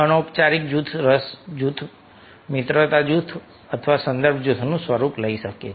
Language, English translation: Gujarati, informal groups can take the form of interest groups, friendship groups or reference group